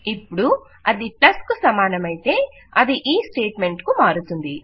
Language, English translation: Telugu, Now if it equals to a plus, remember that it switches over to this statement